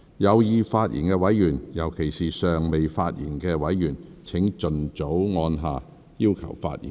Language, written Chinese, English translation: Cantonese, 有意發言的委員，尤其是尚未發言的委員，請盡早按下"要求發言"按鈕。, Members who wish to speak in particular those who have not yet spoken please press the Request to speak button as early as possible